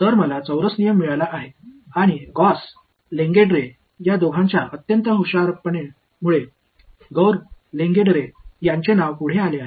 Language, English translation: Marathi, So, I have got a quadrature rule because, of the extreme cleverness of both Gauss and Lengedre the name of Gauss Lengedre goes after them